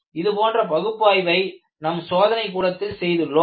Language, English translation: Tamil, Such a work was done in our laboratory